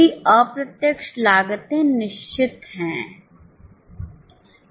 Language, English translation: Hindi, All indirect costs are fixed